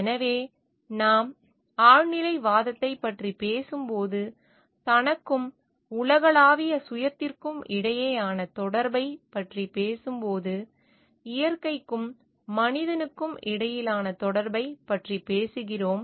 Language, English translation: Tamil, So, when we are talking of transcendentalism, when we are talking of connectivity between oneself and the universal self, the connectivity between the human and the non human entity of the nature